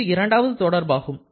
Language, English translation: Tamil, So, this is the second relation